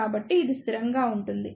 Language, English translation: Telugu, So, it will be constant